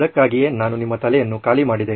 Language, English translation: Kannada, That folks is why I made you empty your head